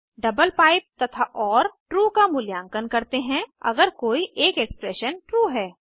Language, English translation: Hindi, double pipe and or evaluate to true, if either expression is true